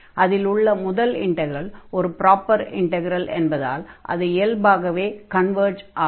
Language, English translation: Tamil, And note that the first integral is is a proper integral, so naturally it converges